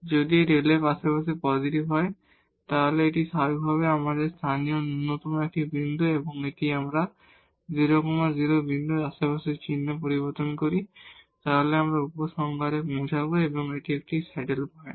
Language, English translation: Bengali, If this delta f is positive in the neighborhood then this is a point of local minimum naturally and if we changes sign in the neighborhood of this 0 0 point, then we will conclude that this is a saddle point